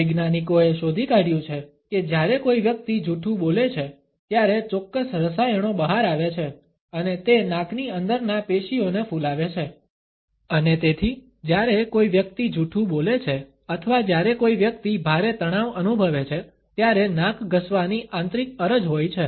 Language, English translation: Gujarati, Scientists have found out that when a person lies, certain chemicals are released and they cause the tissues inside the nose to swell and therefore, when a person is lying or when a person is feeling tremendous stress, there is an inner urge to rub the nose